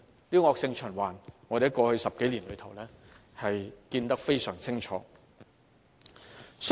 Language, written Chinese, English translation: Cantonese, 這種惡性循環，我們過去10多年看得非常清楚。, This situation is well evident over the past 10 years or so